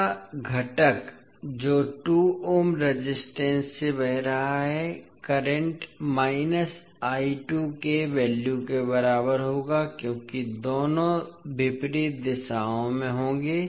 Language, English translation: Hindi, So the component of I 1 which is flowing through 2 ohm resistance will be equal to the value of current I 2 with negative sign because both would be in opposite directions